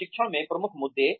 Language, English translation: Hindi, Key issues in training